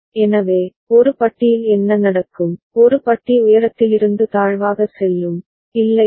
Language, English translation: Tamil, So, what will happen to A bar, A bar will go from high to low, is not it